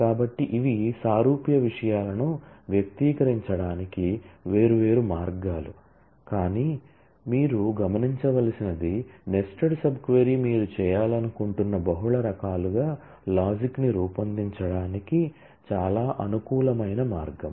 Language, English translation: Telugu, So, these are just different ways of expressing similar things, but what you should note is the nested sub query is a very convenient way to frame up the logic in multiple different ways that you would like to do